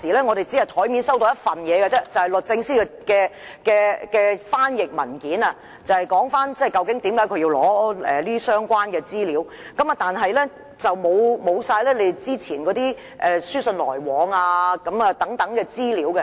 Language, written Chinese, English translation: Cantonese, 我們最初只收到一份文件，即律政司來函的翻譯本，提述為何署方要求索取相關資料，但當時議員沒有雙方之前書信往來的資料。, Initially we only received one document viz the translated version of the letter from DoJ stating its reasons for requesting the production of the relevant information . But at that time Members had no information about the previous correspondences between the Secretariat and DoJ